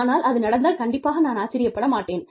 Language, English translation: Tamil, But if it does happen, I will not be surprised